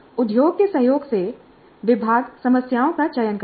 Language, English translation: Hindi, So the department in collaboration with the industry selects the problems